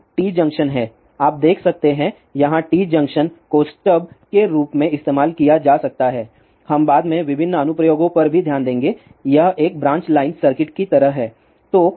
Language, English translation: Hindi, Now, there are T junctions, you can see here t junction can be use as a stuff we will also look into later on various application this is like a branch line circuit